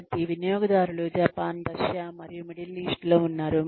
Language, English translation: Telugu, So, customers are in Japan and Russia and the Middle East